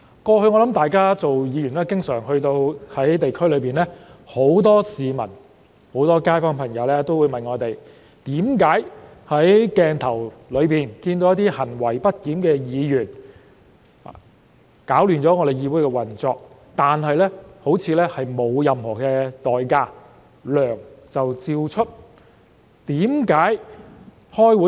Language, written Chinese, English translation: Cantonese, 過往擔任議員時，我相信大家經常也會在地區遇到很多市民和街坊朋友，他們會詢問為何在鏡頭下看到那些行為不檢的議員攪亂了議會運作，但他們又像不用承擔任何代價，仍可如常收取薪酬？, During our tenure as Members in the past I believe Members often came across members of the public and residents in the districts asking Why are misbehaved Members disrupting the operation of the legislature as recorded on camera seemingly not required to pay any price but receive their remuneration as usual?